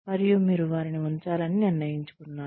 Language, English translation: Telugu, And, you have decided to keep them